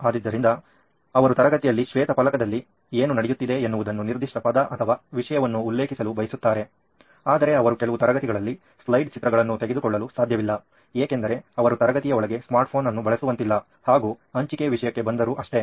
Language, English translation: Kannada, So, they want to refer a specific word or a topic what is going on white board in the classroom that they cannot do in certain classes basically because of the obvious reason that they cannot use a smart phone inside a classroom and coming to the sharing part as well